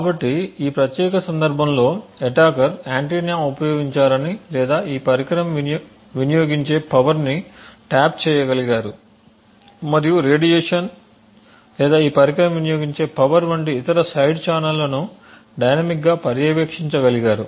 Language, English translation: Telugu, So in this particular case the attacker we assume has used an antenna or has been able to tap into the power consumed by this device and monitor dynamically the radiation or other side channels such as the power consumed by this device